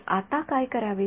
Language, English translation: Marathi, So, now, what should I do